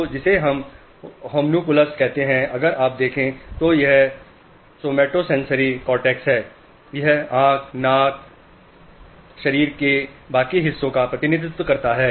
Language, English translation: Hindi, So, what we call a homunculus, if you look at this somatosensory cortex, this is the representation of eye, nose, the rest of the body